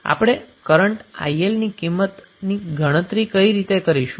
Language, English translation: Gujarati, Now what we will, how we will calculate the value of current IL